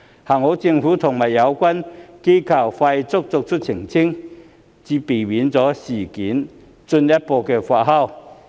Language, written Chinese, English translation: Cantonese, 幸好政府和相關機構從速作出澄清，才避免此事進一步發酵。, Fortunately the Government and relevant agencies have taken prompt action to make clarifications so that further fermenting of the issue was curbed